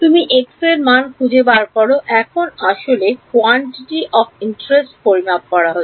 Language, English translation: Bengali, You have found out x, now actually calculating the quantity of interest